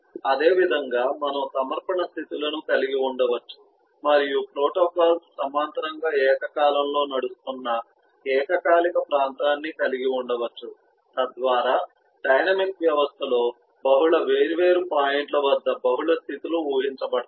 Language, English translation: Telugu, similarly, we have submission states and we can have concurrent region where the protocols run in in parallel, eh in in concurrent, so that we have multiple states finishing at multiple different points in the dynamic system